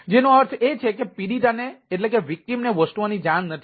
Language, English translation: Gujarati, that means the ah victims is not aware of the things